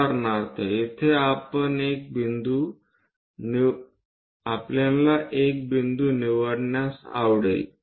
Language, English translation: Marathi, For example, here we would like to pick a point